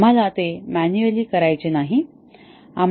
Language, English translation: Marathi, We do not have to do it manually